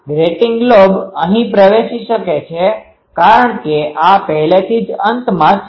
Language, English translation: Gujarati, This grating lobe can enter here because this is already at the end